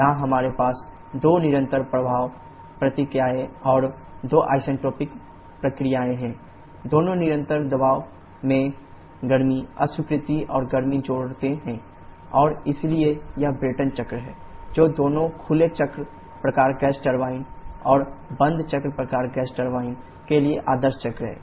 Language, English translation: Hindi, Here we have two constant pressure processes and two isentropic processes, both heat rejection and heat addition at constant pressure and therefore this is Brayton cycle, which is the ideal cycle for both open cycle type gas turbine and closed cycle type gas turbine